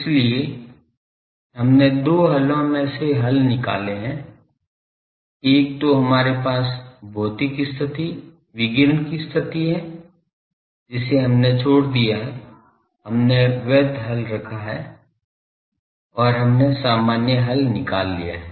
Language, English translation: Hindi, So, we have found the solutions out of two solutions, one we have physical consideration radiation condition from that we have discarded, we have kept the valid solution and we have found the general solution